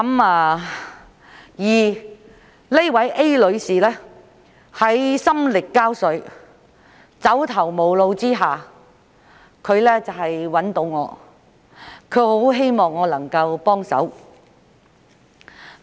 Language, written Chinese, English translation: Cantonese, A 女士心力交瘁、走投無路，於是便來找我，希望我能幫忙。, Ms A is mentally and physically exhausted and has no way out so she came to seek help from me